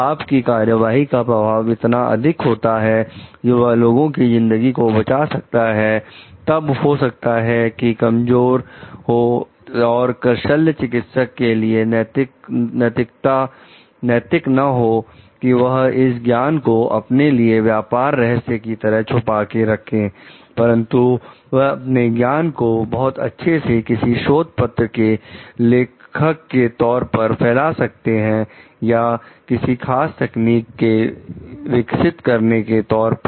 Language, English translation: Hindi, The impact of your action is so, high like it can save life for people, then may be weak it may not be very ethical for the surgeon to reserve this knowledge to herself as a trade secret, but she can very well spread that knowledge claiming authorship of the paper or the developer of a particular technique